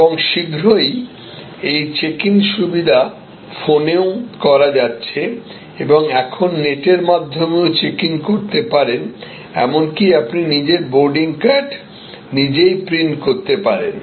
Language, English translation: Bengali, And then soon, these check in could be done on phone and now, you can do the check in on the net; you can even print out your boarding card